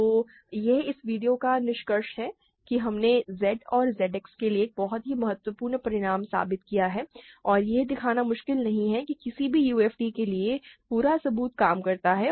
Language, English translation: Hindi, So, this is the conclusion of this video we have proved a very important result for Z and Z X and it is not difficult to show that the whole proof carries over for any UFD